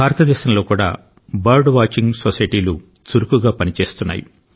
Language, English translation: Telugu, In India too, many bird watching societies are active